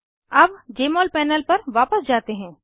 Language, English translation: Hindi, Lets go back to the Jmol panel